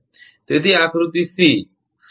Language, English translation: Gujarati, So, this is figure 14